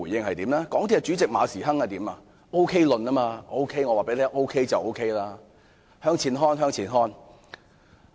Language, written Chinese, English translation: Cantonese, 港鐵公司主席馬時亨提出 "OK 論"，只要他說 OK 便 OK， 他又叫人向前看。, Frederick MA Chairman of MTRCL put forward the OK theory if he said it was OK then it was OK . He also told us to be forward - looking